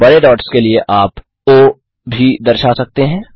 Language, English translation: Hindi, You can also specify o for big dots